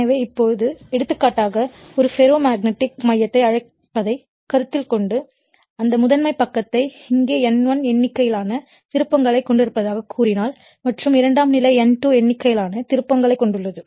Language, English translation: Tamil, So, now, for example, suppose, if you consider your what you call a ferromagnetic core and you have your primary this side we call primary side say you have N1 number of turns here, it is N1 number of turns and you have the secondary you have N2 number of turns